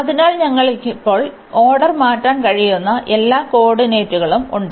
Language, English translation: Malayalam, So, we have all the coordinates we can change the order now